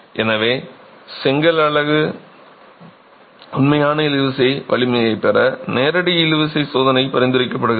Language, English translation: Tamil, So, the direct tension test is prescribed to get the actual tensile strength of the brick unit